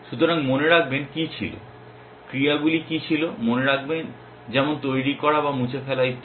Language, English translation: Bengali, So, remember what was, what was the actions thinks like make or delete and so on essentially